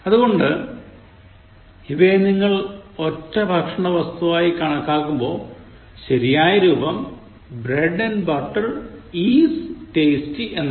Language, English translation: Malayalam, So, when you treat that as a singular entity, the correct form is bread and butter is tasty